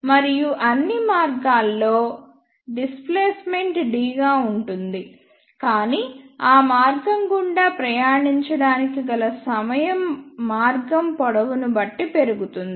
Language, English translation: Telugu, And in all these paths, the displacement is same which is d, but the time taken to travel through that path increases depending upon the path length